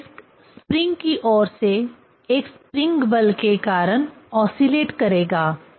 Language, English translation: Hindi, This disc will oscillate due to a spring force from the spring